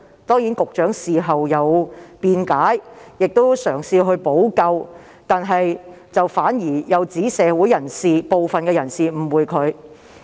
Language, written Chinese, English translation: Cantonese, 當然，局長事後作出辯解和嘗試補救，但亦反指社會部分人士誤解他。, Of course the Secretary defended himself and tried to make remedy afterwards by saying that some people in society misunderstood him